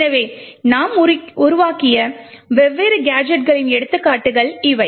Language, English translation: Tamil, So, these were some of the examples of different gadgets that we have created